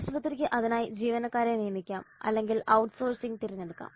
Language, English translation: Malayalam, Hospital can hire employee for it or can opt for outsourcing